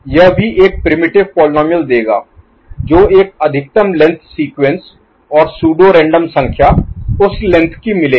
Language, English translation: Hindi, That will also give a primitive polynomial that will also give a maximal length sequence and pseudo random number getting generated of the particular length